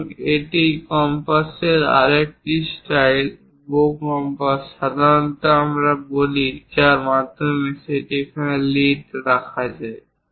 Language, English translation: Bengali, And this is other style of compass, bow compass usually we call through which a lead can be kept there